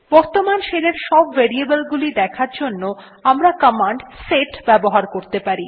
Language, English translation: Bengali, To see all the variables available in the current shell , we run the command set